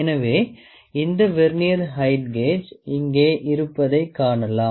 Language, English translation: Tamil, So, you can see that this Vernier height gauge is here